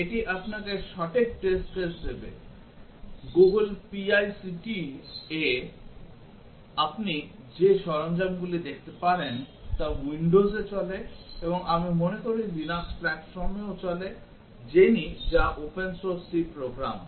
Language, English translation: Bengali, It will give you the exact test cases, the tools you can look on the Google PICT runs on the windows and I thing also on the Linux platforms, Jenny which is open source C program